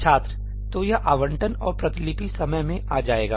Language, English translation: Hindi, So, this allocation and copying time will come in